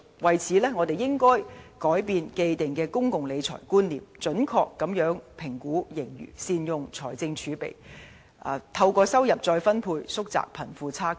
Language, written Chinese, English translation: Cantonese, 因此，我們應要改變既定的公共理財觀念，準確評估盈餘，善用財政儲備，並透過收入再分配，縮窄貧富差距。, Therefore we should alter our established concept of public finance accurately forecast fiscal surplus make good use of fiscal reserves and reduce the wealth gap by income redistribution